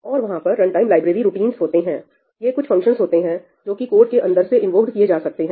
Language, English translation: Hindi, Then, there are runtime library routines, these are functions which can be invoked within your code